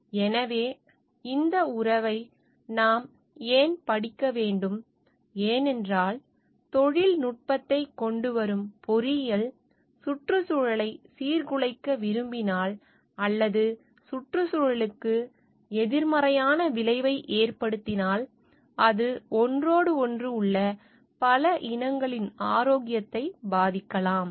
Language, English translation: Tamil, So, why this we need to study this relationship, because the engineering, which brings in the technology if he tries to like disturb the environment or has an adverse effect on the environment, it can affect the health of many breeds and are that are co existing with each other